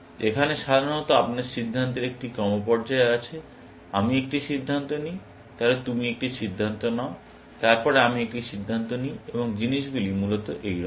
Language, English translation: Bengali, Here, typically, you have a sequence of decisions; I make a decision, then, you make a decision; then, I make a decision, and things like that, essentially